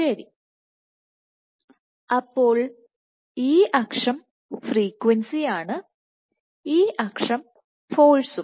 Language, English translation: Malayalam, So, this axis is frequency this axis is force